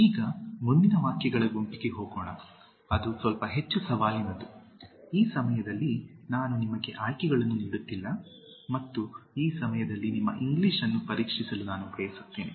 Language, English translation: Kannada, Now, let us go to next set of sentences, which are slightly more challenging, this time, I am not giving you the options and this time I want to test your English